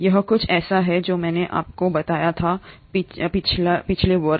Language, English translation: Hindi, This is something I told you even my previous class